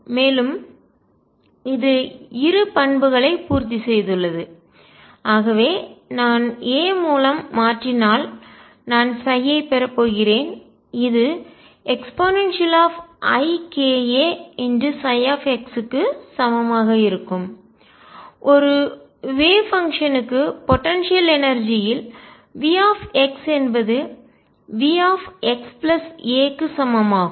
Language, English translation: Tamil, Has satisfy both the properties, and therefore I am going to have psi if I shift by a is going to be equal to e raise to i k a psi of x, for a wave function in a potential energy V x equals V x plus a